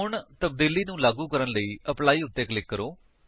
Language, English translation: Punjabi, Now click on Apply to apply the changes